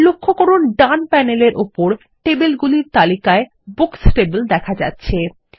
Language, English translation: Bengali, Notice that the Books table appears in the Tables list on the right panel